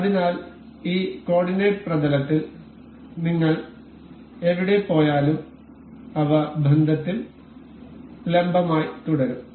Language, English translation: Malayalam, So, anywhere we move in this coordinate plane they will remain perpendicular in relation